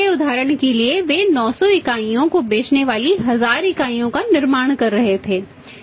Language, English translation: Hindi, Earlier for example they were manufacture 1000 units selling 900 units